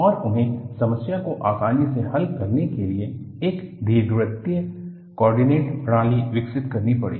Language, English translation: Hindi, And, they had to develop elliptical coordinate system to conveniently handle the problem